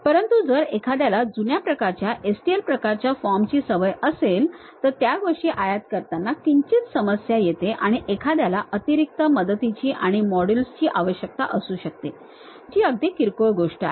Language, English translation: Marathi, But if someone is accustomed to old kind of format like STL kind of forms, then importing those things slight issue and one may require additional supports and modules which is very minor thing